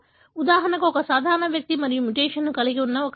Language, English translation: Telugu, So, for example, a normal individual and an individual who carries the mutation